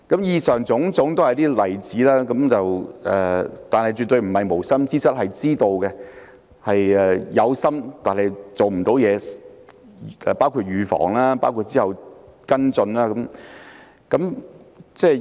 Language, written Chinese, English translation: Cantonese, 以上種種例子，政府絕不是犯了無心之失，而是有心卻沒做好預防工作及之後的跟進工作。, All these examples show that the problem of default payments is not an inadvertent mistake of the Government but the result of the Governments failure to take preventive measures and follow - up actions properly